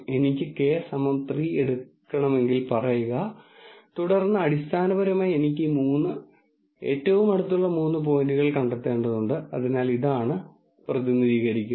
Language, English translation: Malayalam, Say if I want to take k equal to 3, then basically I have to find three nearest points which are these three, so this is what is represented